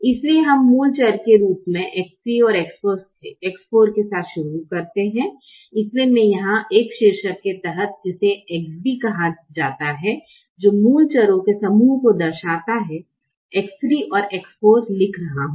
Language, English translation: Hindi, so i am writing x three and x four here under a heading which is called x b, which represents the set of basic variables